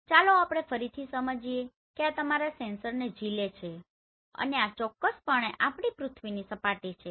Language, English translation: Gujarati, So let us understand again this is carrying your sensor and this is definitely our earth surface